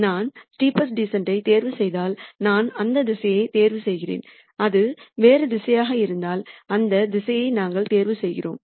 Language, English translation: Tamil, If I choose the steepest descent then I choose that direction, if it is some other direction we choose that direction